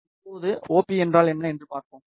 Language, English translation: Tamil, Now, let us see what is OP